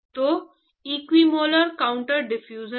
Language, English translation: Hindi, So, that is the equimolar counter diffusion